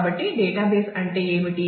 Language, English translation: Telugu, So, what is a data base